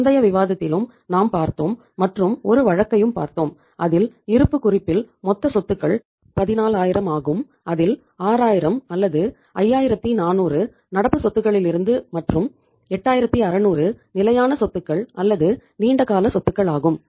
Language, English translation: Tamil, We have seen in the say previous discussion also and a case also the balance sheet when we saw that total assets were 14000 where 6000 or 5400 were from the say current assets and 8600 are the say your fixed assets or the long term assets